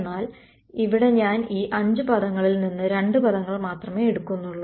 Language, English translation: Malayalam, But here I am taking only out of these 5 terms I am only keeping 2 terms